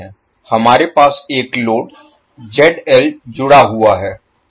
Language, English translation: Hindi, We have a load ZL is connected